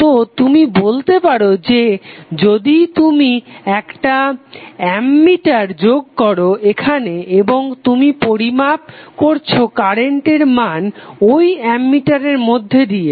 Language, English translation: Bengali, So you can say that if you added one ammeter here and you are measuring the value of current through this ammeter